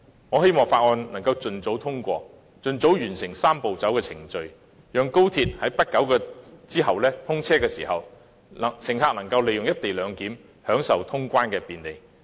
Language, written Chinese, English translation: Cantonese, 我希望《條例草案》能夠盡早通過，盡早完成"三步走"的程序，讓高鐵在不久後通車時，乘客能夠利用"一地兩檢"，享受通關的便利。, I hope that the Bill can be expeditiously passed to complete the Three - step Process as soon as possible . When XRL is commissioned in the near future passengers will be able to enjoy convenient customs clearance under the co - location arrangement